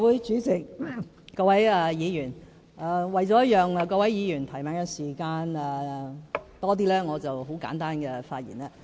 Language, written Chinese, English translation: Cantonese, 主席，各位議員，為了讓各位議員有更多提問時間，我將會作很簡單的發言。, President of the Legislative Council Honourable Members I will only make a very brief speech so that Members can have more time to ask questions